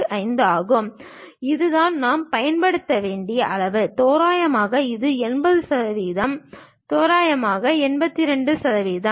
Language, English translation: Tamil, 8165; this is the scale what we have to use it, approximately it is 80 percent, 82 percent approximately